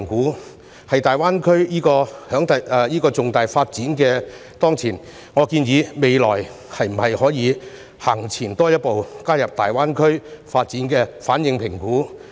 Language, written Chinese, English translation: Cantonese, 面對大灣區這個重大發展機遇，我建議在未來可以多走前一步，加入對大灣區發展的反應評估。, Faced with such an important development opportunity of GBA I suggest that we should take one step further in the future and include an assessment of the implication on the GBA development